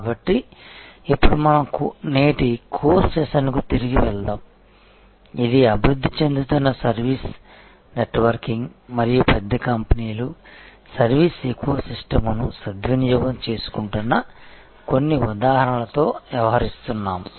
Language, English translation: Telugu, So, now let us go back to the core session of today, which is dealing with some examples of large companies taking advantage of this evolving service networking and service ecosystem